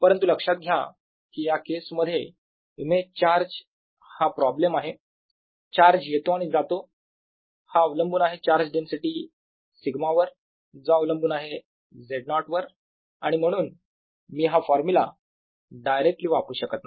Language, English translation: Marathi, however, notice, in this case, the image charge problem: as charge comes in or goes out, the charge density sigma depends on z zero and therefore i cannot use this formula directly